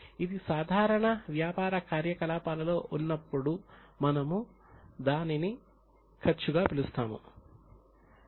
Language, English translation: Telugu, When it is in a normal course then we just call it as an expense